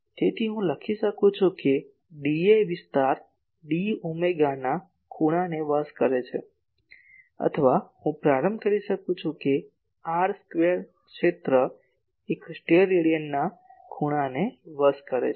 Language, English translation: Gujarati, So, I can write that a d A area d A area subtends an angle of d omega or I can start that an r square area subtends an angle of one Stedidian